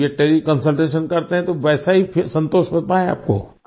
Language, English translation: Hindi, Now if they do Tele Consultation, do you get the same satisfaction